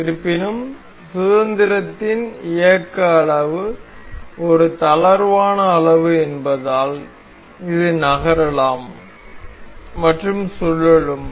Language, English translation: Tamil, However, because of a loose degree of motion degree of freedom this can move and can rotate as well